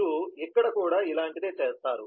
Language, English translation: Telugu, you do a similar thing here as well